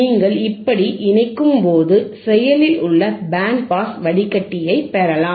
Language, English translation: Tamil, wWhen you connect like this, you can get an active band pass filter